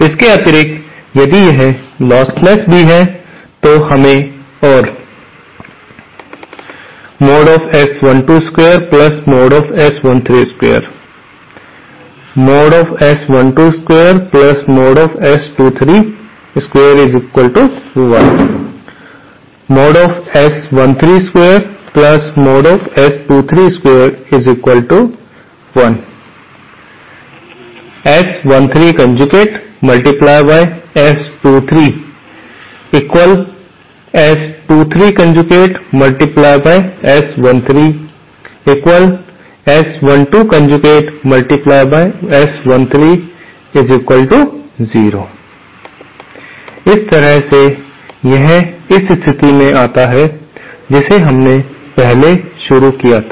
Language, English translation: Hindi, In addition to this, if it is also a lossless, we have to have andÉ This by the way follows from this condition that we had started earlier